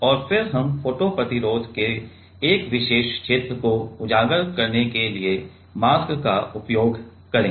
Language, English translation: Hindi, And then we will use the mask to exposed a particular region of the photo resist